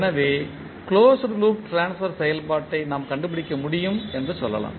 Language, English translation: Tamil, So we can say, we can determined the closed loop transfer function